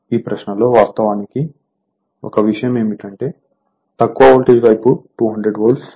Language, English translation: Telugu, So, in this problem one thing actually one thing is that the low voltage side is 200 volt